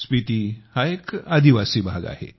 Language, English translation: Marathi, Spiti is a tribal area